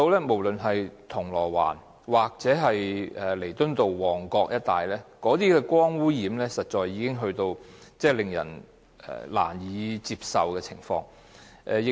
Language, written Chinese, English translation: Cantonese, 無論是銅鑼灣或旺角彌敦道一帶，光污染已達到令人難以接受的程度。, In Causeway Bay or along Nathan Road in Mong Kok light pollution has reached a level that can hardly be tolerated